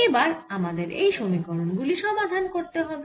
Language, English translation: Bengali, we have to solve this equations